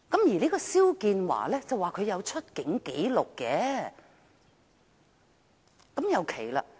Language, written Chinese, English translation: Cantonese, 至於肖建華，據稱他是有出境紀錄的，但這也很奇怪。, Although XIAO Jianhua is alleged to have a departure record it is still very strange